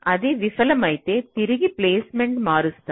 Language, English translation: Telugu, if it fails, you again go back and change the placement